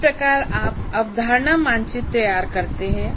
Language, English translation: Hindi, That's how you prepare the concept map